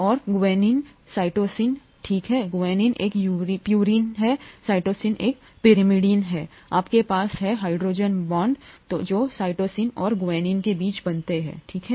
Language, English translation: Hindi, And guanine, cytosine, okay, guanine is a purine, cytosine is a pyrimidine; you have the hydrogen bonds that are formed between cytosine and guanine, okay